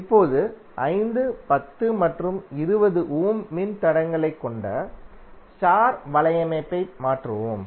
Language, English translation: Tamil, Now let us convert the star network comprising of 5, 10 and 20 ohm resistors